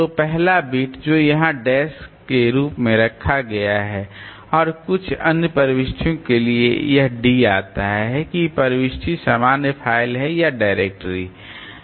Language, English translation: Hindi, So, the first beat which is kept here as a dash and for the few other entries it is equal to D tells that whether the entry is a normal file or a directory